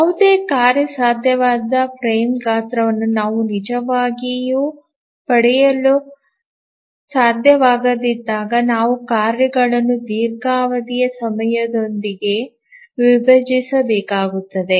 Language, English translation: Kannada, So, whenever we cannot really get any feasible frame size, we need to split the tasks with longer execution times